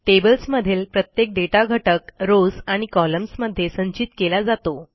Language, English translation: Marathi, Tables have individual pieces of data stored in rows and columns